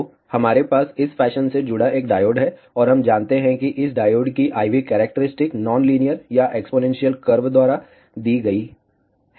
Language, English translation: Hindi, So, we have a diode connected in this fashion, and we know that the diode IV characteristic given by this non linear or exponential curve